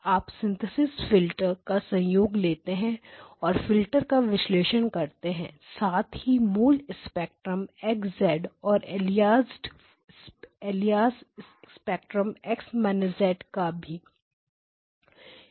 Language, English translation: Hindi, You are taking the combination of the synthesis filters the analysis filters as well as the original spectrum X of Z and the alias spectrum X of minus Z